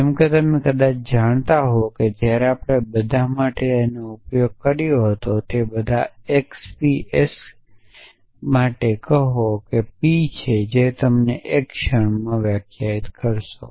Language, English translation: Gujarati, So, as you probably know when we use for all so if say for all x p s were p is a predicate which you will define in a moment